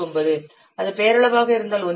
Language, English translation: Tamil, 19, if it is nominal, 1